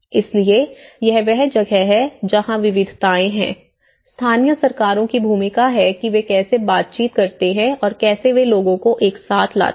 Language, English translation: Hindi, So, that is where, here there is diversities, local governments role you know, how they negotiate and how they bring the people together